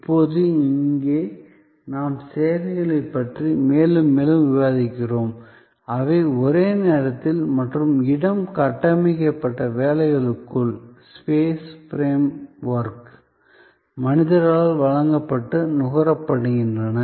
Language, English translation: Tamil, Now, you can understand that here we are discussing more and more about services, which are delivered and consumed by human beings within the same time and space frame work